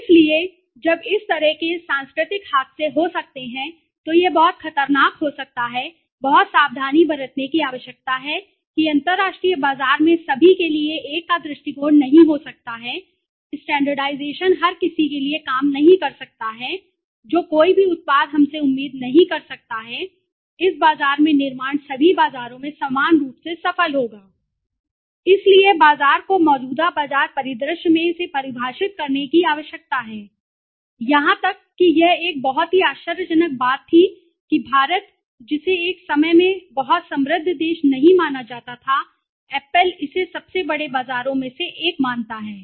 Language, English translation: Hindi, So, when you are such cultural mishaps can happen it can be extremely dangerous one needs to be very careful that in the international market one cannot have the approach of one for all that is standardization might not work for everybody one cannot expect that whatever product we have build in this market would be equally successful in all the markets so the marketer needs to define it in the current market scenario even it was a very surprising thing that India which was considered to be not a very rich country at one point of time Apple considers it one of the largest markets right